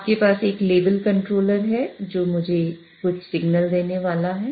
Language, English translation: Hindi, So, you have a level controller which is going to give me some signal